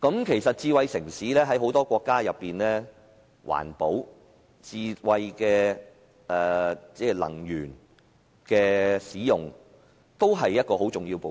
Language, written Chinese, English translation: Cantonese, 其實在很多國家，環保和使用智慧能源都是智慧城市的重要部分。, In many countries environmental protection and the use of smart energy are important elements of smart cities